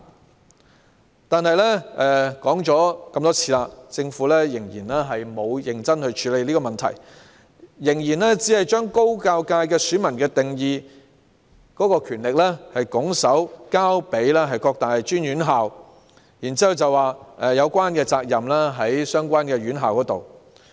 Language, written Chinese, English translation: Cantonese, 雖然我們多次指出這個問題，但政府仍然沒有認真處理，還是把高教界選民的定義權拱手交給各大專院校，然後指有關責任在於相關院校。, Although we have highlighted this problem many times the Government has still not seriously tackled the problem and it has even handed over the right to define voters in the Higher Education subsector to various tertiary institutions saying that the tertiary institutions have the responsibility to make definition